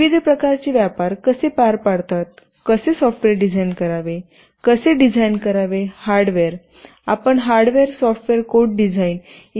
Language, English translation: Marathi, How do carry out various kinds of trade off, how to design software, how to design hardware, how do you carry out something called hardware software code design, etc